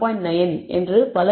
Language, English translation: Tamil, 9 and so on so forth